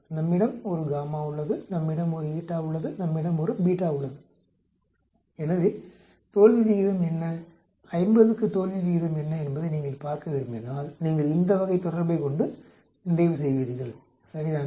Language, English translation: Tamil, We have a gamma, we have eta, we have beta and so if you want see what is the failure rate what is a failure for 50 then you end up having this type of relationship, right